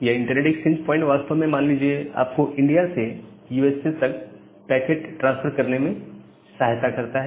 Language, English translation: Hindi, So, this network exchange point actually helps you to transfer a packet from say from India to USA